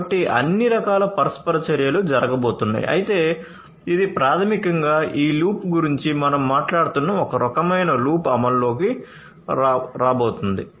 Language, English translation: Telugu, So, all kinds of interactions are going to happen, but this is basically the kind of loop that we are talking about this loop is going to take into effect, right